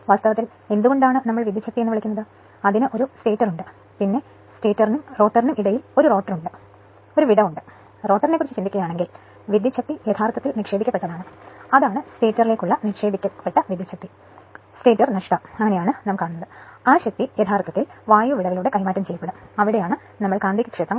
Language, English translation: Malayalam, So, now power across air gap torque and power output actually why we call power across air gap, that you have a stator then you have a rotor in between stator and rotor there is a gap right and power actually input power if you think to the rotor, that is the that is the input power to the stator right minus the stator loss, that power will be actually transferred through the air gap that is where you have that magnetic field right